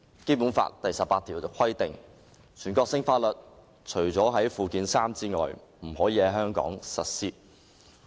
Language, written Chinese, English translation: Cantonese, 《基本法》第十八條規定，全國性法律除列於附件三者外，不得在香港特別行政區實施。, Article 18 of the Basic Law stipulates that national laws shall not be applied in the Hong Kong Special Administrative Region HKSAR except for those listed in Annex III to the Basic Law